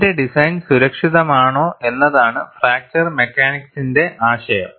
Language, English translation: Malayalam, The idea of fracture mechanics is, whether my design is safe